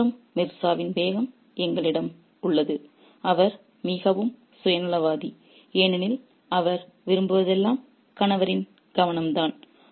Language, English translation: Tamil, On the one hand we have the Begum of Mirza who is very self centered because all she wants is the attention of the husband